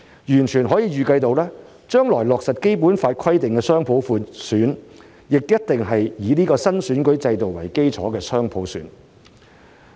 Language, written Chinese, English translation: Cantonese, 完全可以預計，將來落實《基本法》規定的雙普選，也一定是以這個新選舉制度為基礎的雙普選。, It is fully predictable that the future implementation of the dual universal suffrage as stipulated in the Basic Law will be built on the foundation of this new electoral system